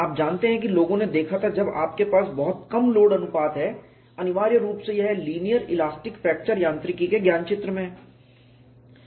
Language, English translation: Hindi, You know people had looked at when you have very small load ratios; essentially it is in the domain of linear elastic fracture mechanics